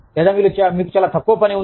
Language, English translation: Telugu, Or, you have very little work